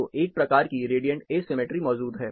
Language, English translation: Hindi, So, there is a kind of radiant asymmetry which is existing